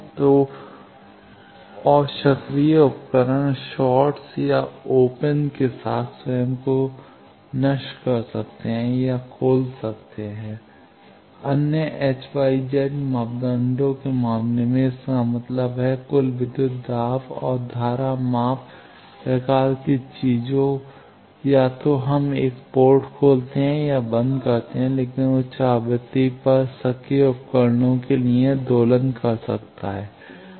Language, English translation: Hindi, So, and active device may oscillate or self destruct with shorts or open because in case of the other H Y Z parameters; that means, total voltage and current measurement type of things either we open or short a port, but that for active devices at high frequency it may oscillate